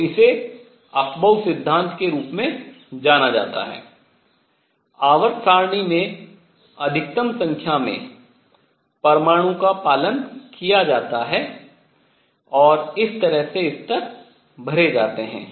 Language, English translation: Hindi, So, this is known as the Afbau principle, it is followed by maximum a large number of atoms in the periodic table, and this is how the levels are filled